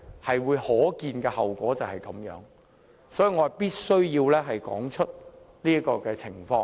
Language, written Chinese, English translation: Cantonese, 這是可見的後果，所以我必須道出這種情況。, As the outcome is foreseeable I must strike home this message